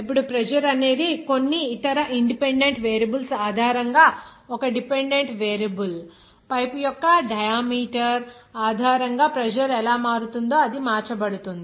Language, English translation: Telugu, Now the pressure is one dependent variable based on some other independent variables, it will be changed how like pressure will be changing based on the diameter of the pipe